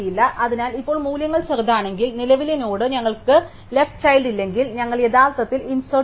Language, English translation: Malayalam, So, now if the values smaller then the value if the current node and if we have no left child, then we actually insert